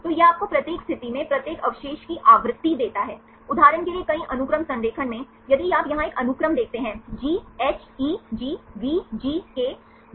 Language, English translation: Hindi, So, it gives you the frequencies of each residue at each position, in the multiple sequence alignment for example, if you see one sequence here GHEG VGKVVKLGAGA